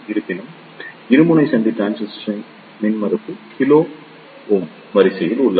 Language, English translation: Tamil, However, in case of bipolar junction transistor the impedance is of the order of kilo ohm